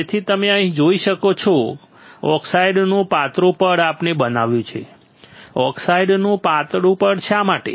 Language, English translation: Gujarati, So, you can see here see thin layer of oxide we have grown why thin layer of oxide